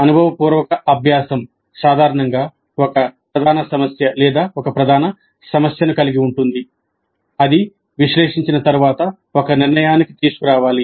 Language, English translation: Telugu, Experiential learning generally involves a core issue or a core problem that must be analyzed and then brought to a conclusion